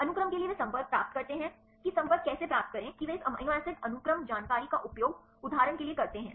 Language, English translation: Hindi, For the sequence they get the contacts how to get the contacts they use this amino acid sequence information for example